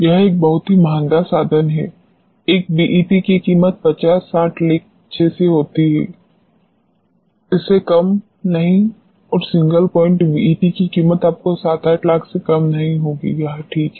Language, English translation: Hindi, It is a very expensive instrument a BET would cost something like 50 60 lakhs, not less than that and a single point BET will cost you not less than 7 8 lakhs, it is ok